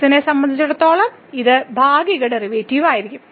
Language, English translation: Malayalam, So, this will be the partial derivative with respect to